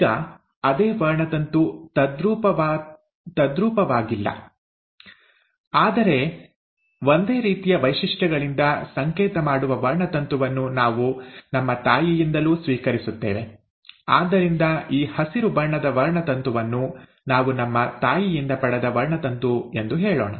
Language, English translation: Kannada, Now the same chromosome, not identical though, but a chromosome which is coding from similar features we'll also receive it from our mother, right, so let us say that this green coloured chromosome was a chromosome that we had received from our mother